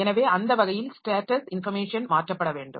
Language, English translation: Tamil, So, that way the status information needs to be transferred